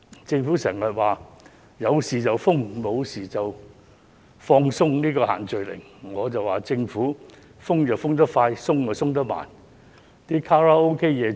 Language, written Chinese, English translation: Cantonese, 政府經常說有事才封，無事便會放鬆限聚令，但我認為政府是"封得快，鬆得慢"。, The Government often says that social gathering restrictions are applied only when something goes awry and will be relaxed if nothing happens . But in my view it is quick in tightening and slow in easing the restrictions